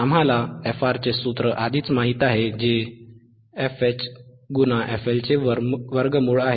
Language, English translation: Marathi, We already know the formula for frR, frwhich is square root of fH into f L